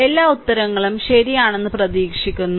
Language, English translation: Malayalam, Hope all answers are correct